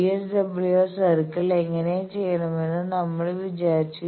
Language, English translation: Malayalam, So, VSWR circle we have described how to do